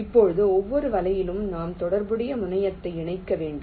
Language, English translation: Tamil, now, for every net, we have to connect the corresponding terminal